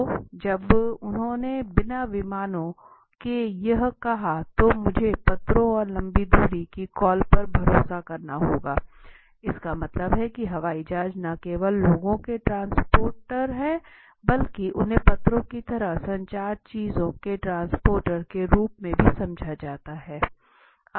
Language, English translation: Hindi, So when they said this without planes I would have to rely on letters and long distance calls, that means airplanes are not only transporters of people but also they have been largely understood as the transporters of the communication things like letters and you know information